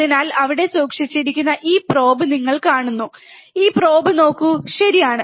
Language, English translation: Malayalam, So, you see this probe that is holding here, look at this probe, right